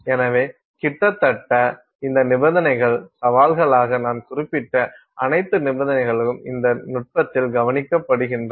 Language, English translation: Tamil, So, virtually all these conditions, all the conditions that I mentioned as challenges have been taken care of in this technique